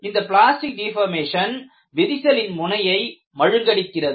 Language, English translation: Tamil, The local plastic deformation will make the crack blunt